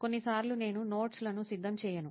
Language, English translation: Telugu, Like sometimes I do not prepare notes